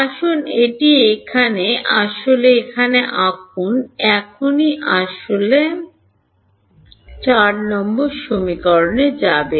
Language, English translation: Bengali, Let us draw it actually down here like this right now let us then go to equation 4 ok